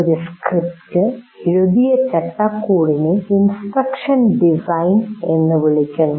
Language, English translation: Malayalam, And the framework within which a script is written is called instruction design